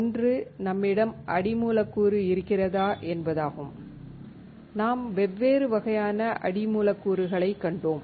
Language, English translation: Tamil, One, is you have the substrate; we have seen different kind of substrates